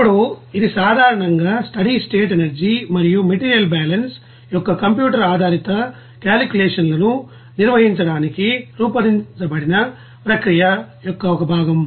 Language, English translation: Telugu, Now it is generally a component of process designed to perform the computer based you know calculations of steady state energy and material balance